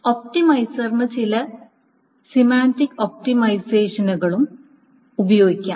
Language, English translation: Malayalam, The optimizer can also use certain semantic optimizations